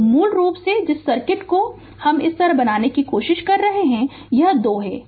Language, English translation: Hindi, So, basically the circuit I am trying to make it like this; this is 2 right